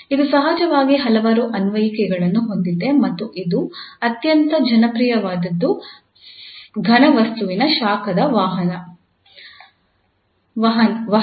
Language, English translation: Kannada, It has of course several applications and one, the most important popular one is the conduction of heat in a solid